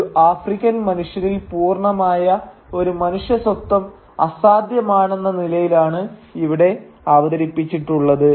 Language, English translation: Malayalam, And we never get to see an African man or a woman in his or her completeness, as if an entire and complete human identity is impossible in an African